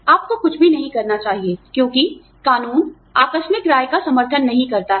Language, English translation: Hindi, You should never say something, because, the law does not support, casual opinions